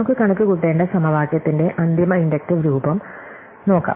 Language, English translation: Malayalam, So, let us look at the final inductive form of the equation that we need to compute